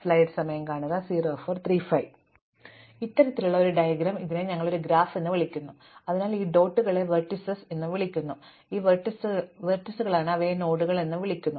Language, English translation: Malayalam, So, this kind of a diagram, is what we call a graph, so these dots are called vertices, so these are the vertices, they are also called nodes